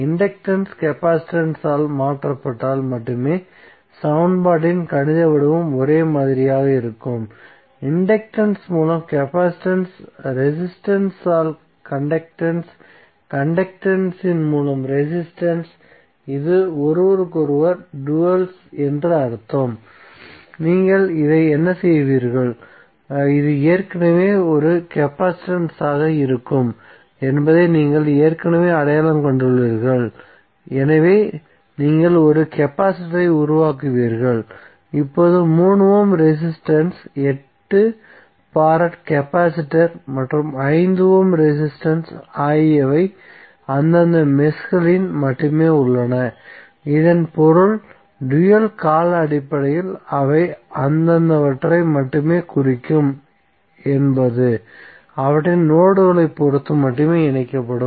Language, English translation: Tamil, The mathematical form of the equation will be same only if the inductance is replaced by the capacitance, capacitance by inductance, conductance by resistance, resistance by conductance, it means that this are the duals of each other, so what you will do this you have already identified that this will be the capacitance so you will make a capacitor, now the 3 ohm resistance 8 farad capacitor and 5 ohm resistance are only in their respective meshes, it means that in dual term they will represent only respective they will be connected only with respect to their nodes